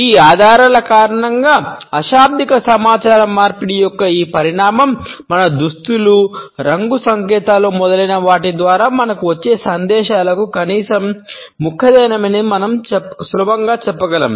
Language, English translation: Telugu, Because of these clues we can easily say that this dimension of nonverbal communication is at least as important as the messages which we receive through our dress, the colour codes etcetera